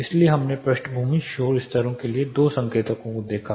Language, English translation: Hindi, So, we looked at two indicators for background noise levels